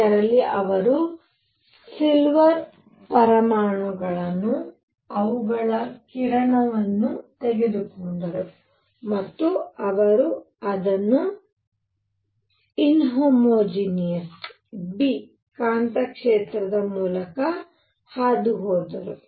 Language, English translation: Kannada, In which they took silver atoms, their beam and they passed it through an inhomogeneous B, inhomogeneous magnetic field